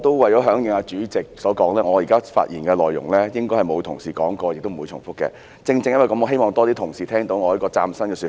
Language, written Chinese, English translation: Cantonese, 為了響應主席所說，我以下的發言內容應該沒有同事提及，亦不會重複，正因如此，我希望有更多同事聆聽到我這個嶄新的說法。, Heeding the advice of the Chairman I will only speak on issues that have not been mentioned by other Members and I will not repeat . For this purpose I would like more Members to listen to my new argument